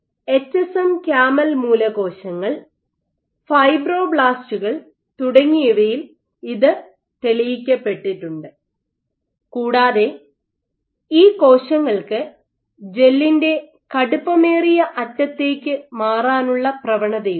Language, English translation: Malayalam, So, it has been demonstrated in HSM camel stem cells, fibroblasts etcetera cells and these cells have a propensity to migrate towards the stiffer end of the gel